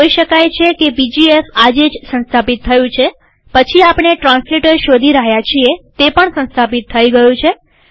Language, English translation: Gujarati, you can see that pgf is installed today, then, we are looking at translator, translator is also installed